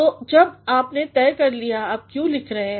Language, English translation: Hindi, So, when you have decided why you are writing